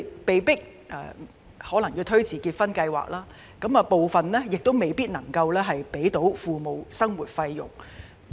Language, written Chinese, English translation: Cantonese, 他們可能被迫推遲結婚計劃，部分人亦未必能給予父母生活費。, Some of them may be forced to postpone their marriage plans whereas some may not be able to provide living expenses for their parents